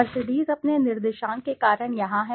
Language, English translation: Hindi, Mercedes is here because of its coordinates